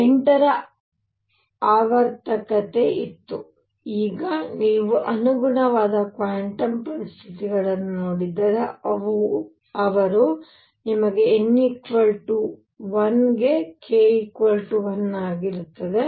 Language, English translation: Kannada, There was a periodicity of 8, now if you look at the corresponding quantum conditions, what they gave you for n equals 1 was k equal to 1